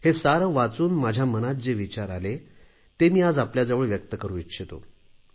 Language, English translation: Marathi, And after going through all these outpourings, some ideas came to my mind, which I want to share with you today